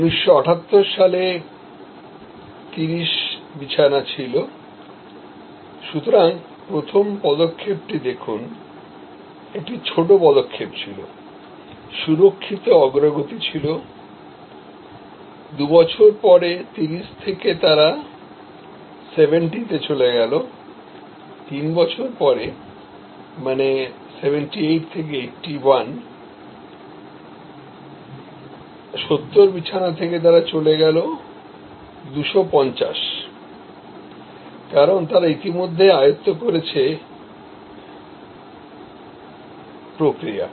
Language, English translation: Bengali, In 1978 from 30, see the first step therefore, was a small step, secure progress, 2 years later from 30, they went to 70, 3 years later from 78 to 81 from 70 they went to 250, because they are already mastered the process